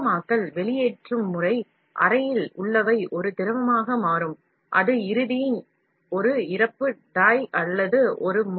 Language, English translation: Tamil, Liquefaction, the extrusion method works on the principle that, what is held in the chamber will become a liquid that can eventually be pushed throw a die or a nozzle